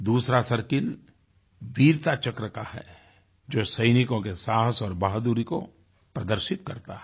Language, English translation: Hindi, The second circle, Veerta Chakra, depicts the courage and bravery of our soldiers